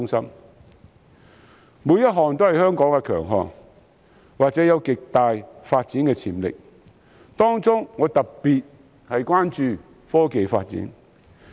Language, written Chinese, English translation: Cantonese, 上述每一項均是香港的強項或具有極大發展潛力，當中我特別關注科技發展。, All of these can either represent the strengths of Hong Kong or offer great development potential to it and among them I attach special importance to technological development